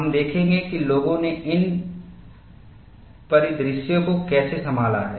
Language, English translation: Hindi, We will see, how people have handled these scenarios